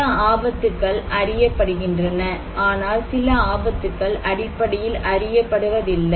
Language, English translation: Tamil, Well, some dangers are known, some are unknown basically